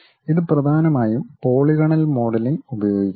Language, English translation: Malayalam, And it mainly uses polygonal modeling